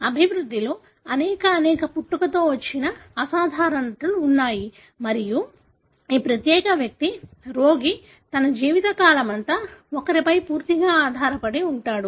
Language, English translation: Telugu, There are many, many congenital abnormalities in the development and this particular individual, the patient is fully dependent on somebody throughout his or her life span